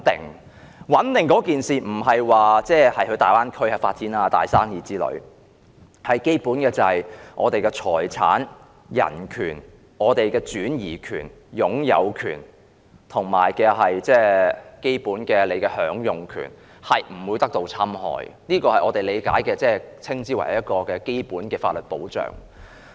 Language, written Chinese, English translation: Cantonese, 所謂穩定，不是指能夠在大灣區發展大生意，而是指基本的財產、人權、擁有權、轉移權，以及基本享用權不會遭受侵害，這是我們理解的所謂基本法律保障。, This so - called stability does not refer to the opportunities to develop great businesses in the Greater Bay Area but refer to our basic properties human rights right of ownership right to transfer and the fundamental right of enjoyment being free from aggression . This is our understanding of the so - called basic legal protection